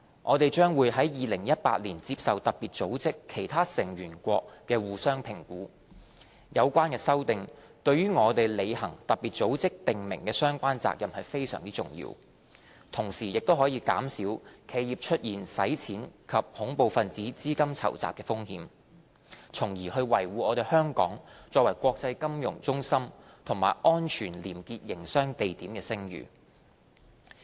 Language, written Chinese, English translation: Cantonese, 香港將會在2018年接受特別組織其他成員國的相互評估，有關修訂對於我們履行特別組織訂明的相關責任非常重要，同時可減少企業出現洗錢及恐怖分子資金籌集的風險，從而維護香港作為國際金融中心及安全廉潔營商地點的聲譽。, Hong Kong will undergo a mutual evaluation by other member states of FATF in 2018 . The amendments in question are very important to our fulfilment of the relevant FATF obligations and can reduce the risk of money laundering and terrorist financing in enterprises thereby upholding Hong Kongs reputation as an international financial centre and a safe and clean city for doing business